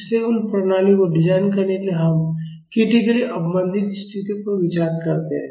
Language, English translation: Hindi, So, those to design those systems we consider critically damped conditions